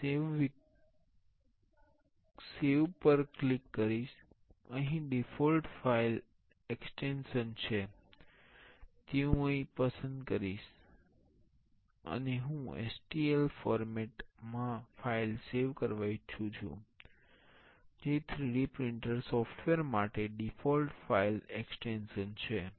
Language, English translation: Gujarati, I will click save as, here see the default file extension is it I will select here and I will I want the file in STL format that is the default file extension for 3D printer software